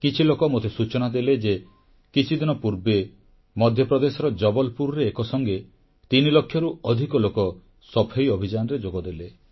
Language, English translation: Odia, I was told that a few days ago, in Jabalpur, Madhya Pradesh, over three lakh people came together to work for the sanitation campaign